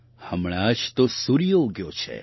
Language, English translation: Gujarati, Well, the sun has just risen